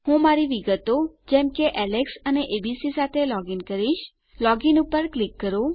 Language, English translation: Gujarati, Ill login with my details as Alex and abc, click log in